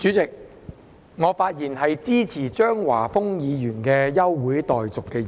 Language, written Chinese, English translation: Cantonese, 代理主席，我發言支持張華峰議員提出的休會待續議案。, Deputy President I speak in support of Mr Christopher CHEUNGs motion on adjournment of the Council